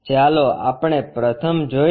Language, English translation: Gujarati, Let us look at the first one